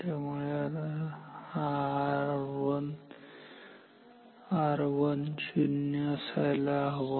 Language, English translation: Marathi, So, then R 1 should be 0